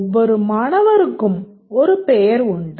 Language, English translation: Tamil, Every student has a name